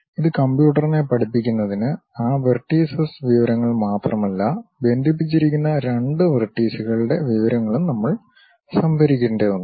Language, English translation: Malayalam, To teach it to the computer, we have to store not only that vertices information, but a information which are the two vertices connected with each other